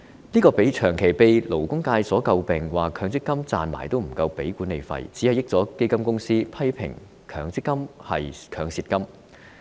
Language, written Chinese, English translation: Cantonese, 這個問題長期被勞工界詬病，指強積金賺了錢也不夠繳交管理費，只會便宜了基金公司，批評強積金是"強蝕金"。, This problem has all along been criticized by the labour sector . They have pointed out that profits gained by MPF investments are not enough to pay management fees resulting in fund companies pocketing all the advantages